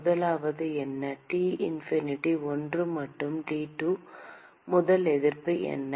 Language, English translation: Tamil, What is the first one, T infinity 1 and T1, what is the first resistance